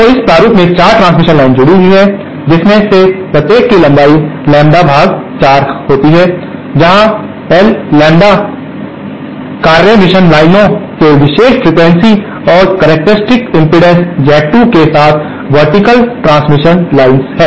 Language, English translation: Hindi, So, it consists of 4 transmission lines connected in this format, each having length lambda by4 where lambda corresponds to a particular frequency and characteristic impedances of the task mission lines along the vertical transmission line is Z 2